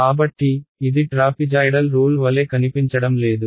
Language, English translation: Telugu, So, does not this look exactly like your trapezoidal rule right